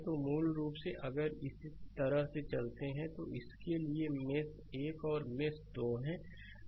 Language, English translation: Hindi, So, basically if you move like this, for this is mesh 1 and this is mesh 2